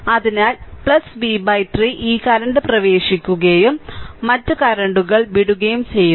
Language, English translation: Malayalam, So, plus v by 3 this current is entering and other currents are leaving right